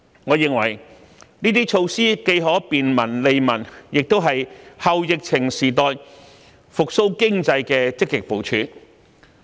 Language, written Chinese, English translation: Cantonese, 我認為，這些措施既可便民、利民，亦是"後疫情時代"復蘇經濟的積極部署。, I believe these are people - friendly measures that can benefit the public and they are positive steps taken by the Government to revive the economy in the post - pandemic era